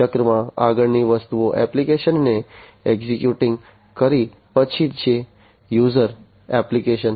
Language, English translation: Gujarati, Then the next thing in the cycle is executing the application, the user applications